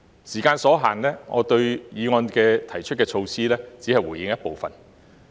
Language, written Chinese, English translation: Cantonese, 時間所限，對議案提出的措施，我只會回應一部分。, Given the time limit I will only respond to some of the measures proposed in the motion